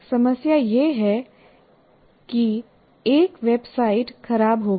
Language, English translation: Hindi, For example, here a website went down